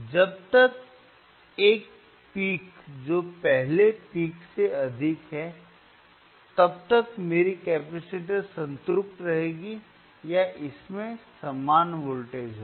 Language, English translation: Hindi, uUntil a peak which is higher than the earlier peak will appear, my capacitor will remain saturated or it will have same voltage